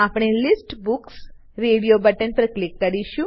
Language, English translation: Gujarati, We will click on the radio button for List Books